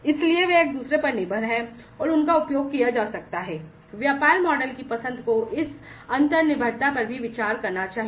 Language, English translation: Hindi, So, they depend on each other, and they can be used, you know, the choice of the business models should consider this inter dependency as well